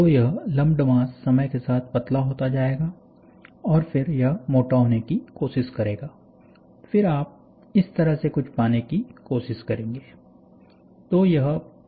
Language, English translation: Hindi, So, this slump mass will form a, we will get thin down over a period of time and then this will try to thicken and then you will try to get something like this